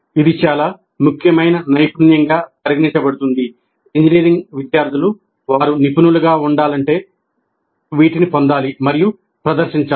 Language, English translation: Telugu, And this is considered as an extremely important competence that engineering students must acquire and demonstrate if they are to be valued as professionals